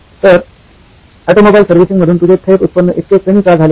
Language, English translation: Marathi, Why is your direct revenue from automobile servicing so low